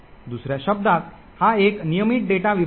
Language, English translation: Marathi, In other words, it is a regular data segment